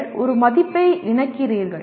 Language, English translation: Tamil, You attach a value